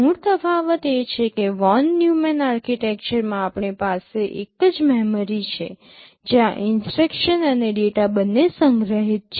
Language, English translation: Gujarati, The basic difference is that in the Von Neumann Architecture we have a single memory where both instructions and data are stored